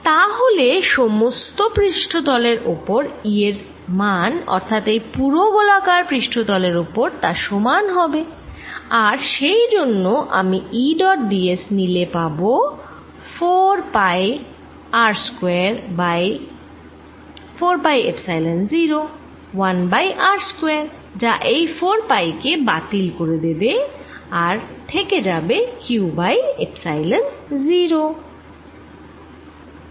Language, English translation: Bengali, so it's value of e all over the surface, all over this spherical surface, is the same and therefore, if i take e dot d s is going to be four pi r square, q over four pi, epsilon zero, one over r square